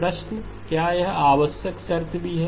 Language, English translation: Hindi, Question is is it a necessary condition as well